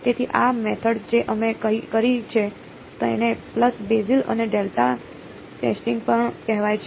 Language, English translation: Gujarati, So, this method that we did it is also called pulse basis and delta testing